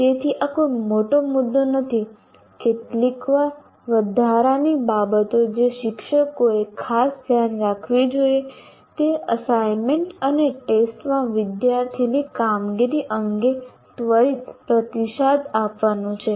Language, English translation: Gujarati, The only a few additional things, teachers should particularly pay attention to giving prompt feedback on student performance in the assignments and tests